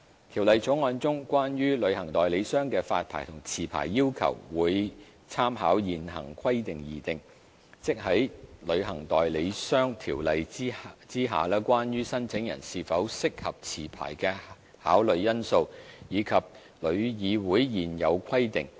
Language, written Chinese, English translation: Cantonese, 《條例草案》中關於旅行代理商的發牌和續牌要求會參考現行規定而訂，即在《旅行代理商條例》之下關於申請人是否適合持牌的考慮因素，以及旅議會現有規定。, The requirements for issuing and renewing travel agent licences in the Bill will be drawn up with reference to the current requirements that is the factors for considering whether an applicant is suitable to hold a licence under the Travel Agents Ordinance and the existing requirements imposed by TIC